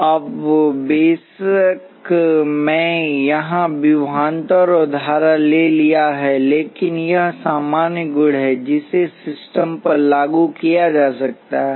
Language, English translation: Hindi, Now of course, I have taken voltages and current here, but this is the general property that can be applied to systems